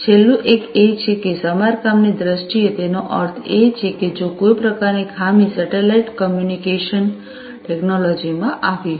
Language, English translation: Gujarati, The last one is that in terms of repairing; that means that if there is some kind of defect that has happened in the satellite communication technology